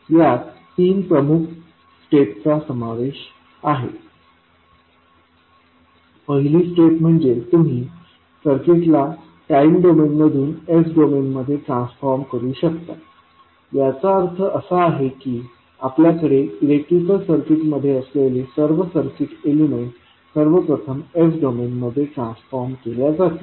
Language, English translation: Marathi, It actually involves three major steps, one is that you transform the circuit from time domain to the s domain, it means that whatever the circuit elements you have in the electrical circuit all will be first transformed into s domain